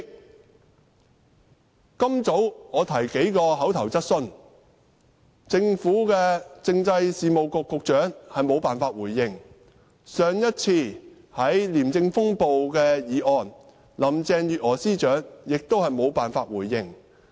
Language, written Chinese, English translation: Cantonese, 我今早提出口頭質詢，政制及內地事務局局長無法回應，上一次在廉政風暴的議案，林鄭月娥司長同樣無法回應。, I put an oral question this morning and the Secretary for Constitutional and Mainland Affairs could not answer my question . I moved a motion on the personnel reshuffle of ICAC earlier and Chief Secretary Carrie LAM also could not answer my question